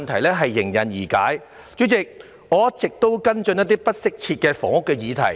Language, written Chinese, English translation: Cantonese, 代理主席，我一直有跟進不適切房屋的議題。, Deputy President I have all along been following up on the issue of inadequate housing